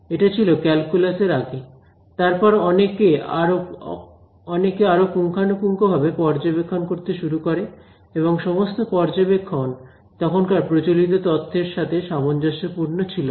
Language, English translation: Bengali, So, that was pre calculus, then you know people began to make more detailed observations and not every observation match the existing theory